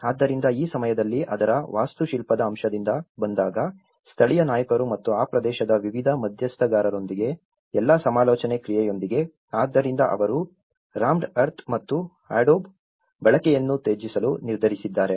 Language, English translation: Kannada, So, at this point of time, when it comes from the architectural aspect of it, so, with all the consultation process with the local leaders and various stakeholders within that region, so they have decided to discard the use of rammed earth and adobe